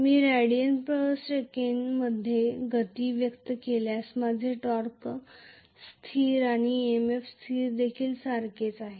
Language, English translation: Marathi, If I express the speed in radians per second, my torque constant as well as EMF constant are the one and the same,ok